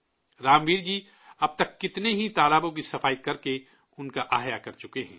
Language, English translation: Urdu, So far, Ramveer ji has revived many ponds by cleaning them